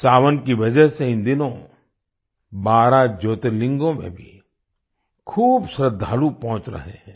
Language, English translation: Hindi, These days numerous devotees are reaching the 12 Jyotirlingas on account of 'Sawan'